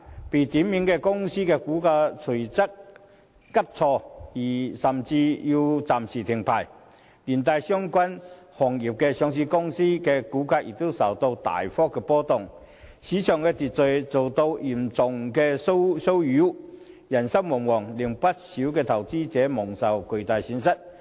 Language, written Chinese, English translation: Cantonese, 被點名的公司的股價隨即急挫而其股票交易甚至需暫停，連帶相關行業上市公司的股價亦大幅波動，市場秩序遭到嚴重擾亂，人心惶惶，令不少投資者蒙受巨大損失。, The share prices of the named companies plunged immediately and trading of their shares even had to be suspended . As a knock - on effect the share prices of listed companies in related industries also fluctuated significantly causing serious disturbance to market order and sending jitters through the market thus resulting in quite a number of investors having sustained huge losses